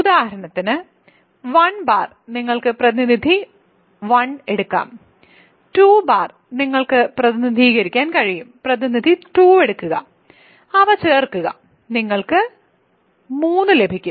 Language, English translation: Malayalam, For example, 1 bar you can take representative 1, 2 bar you can represent take representative 2 and you add them, you get 3